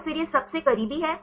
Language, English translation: Hindi, So, then this is the closest one